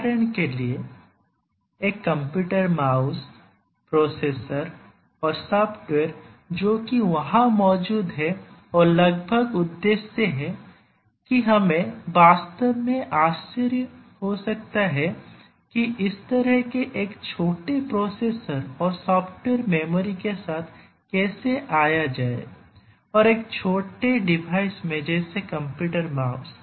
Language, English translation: Hindi, For example, a computer mouse, the processor and the software that is there it is almost invisible that we may have to really wonder that how come such a small processor and the accompanied software memory and so on is there in a small device like a computer mouse